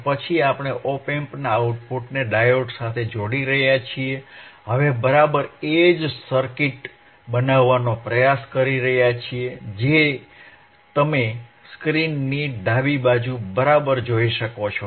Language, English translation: Gujarati, And then we are connecting the output of the op amp to the diode, we are exactly trying to make the same circuit which as which you can see on the left side of the screen alright